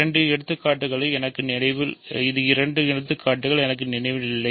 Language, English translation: Tamil, So, I do not remember the two examples maybe this